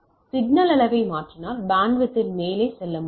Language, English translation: Tamil, So, changing the signal level, I can go up in the bandwidth right